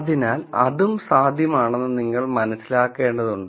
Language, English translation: Malayalam, So, you should keep in mind that that is also possible